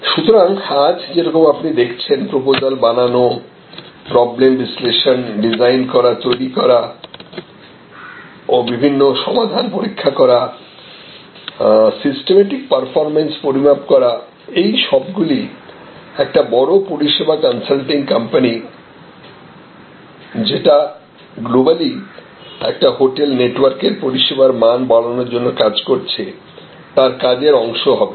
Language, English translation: Bengali, So, today is as you see proposal development problem analysis design develop and test alternative solutions develop systematic performance measures these are all part of say a large service consulting company engaged in improving the service level of say a hotel network globally